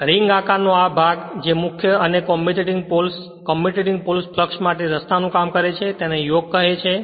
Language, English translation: Gujarati, The ring shaped portion which serves as the path of the main and the commutating pole your commutating pole fluxes is called the yoke right